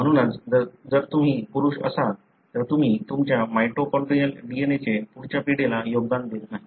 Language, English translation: Marathi, Therefore, if you are a male you don’t contribute your mitochondrial DNA to the next generation